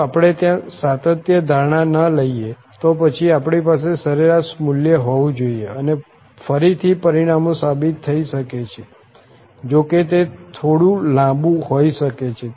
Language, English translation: Gujarati, If we do not take the continuity assumption there then we have to have here the average value and again the results can be proved, though it may be a little bit lengthy